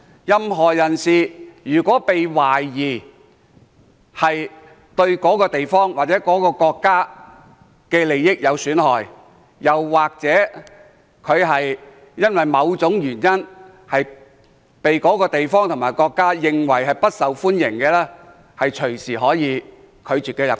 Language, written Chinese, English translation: Cantonese, 任何人如果被懷疑對某地方或某國家的利益有損害，又或者因為某種原因，被該地方或國家視為不受歡迎，當地政府可隨時拒絕他入境。, If anyone is suspected of causing damage to the interests of a certain place or country and is deemed unwelcome by that place or country for certain reasons the government of that place or country can deny his entry anytime